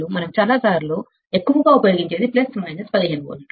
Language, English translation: Telugu, Most of the time what we use is, plus minus 15 volts